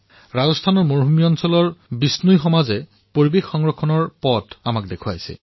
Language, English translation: Assamese, TheBishnoi community in the desert land of Rajasthan has shown us a way of environment protection